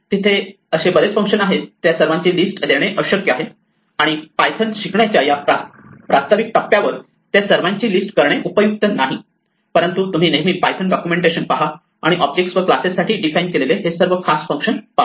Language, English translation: Marathi, There are several other such functions; it is impossible to list all of them and it is not useful to list all of them at this introductory stage when you are learning python, but you can always look up the python documentation, and see all the special functions that are defined for objects and classes